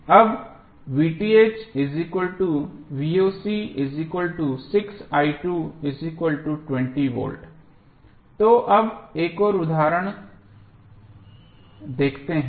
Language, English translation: Hindi, So now, let us see another example